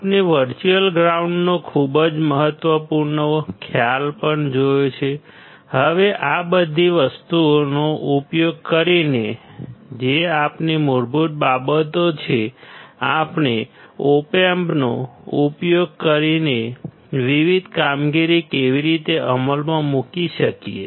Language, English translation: Gujarati, Very important concept of virtual ground we have also seen; now using all these things which are our basics how can we implement the different operations using op amps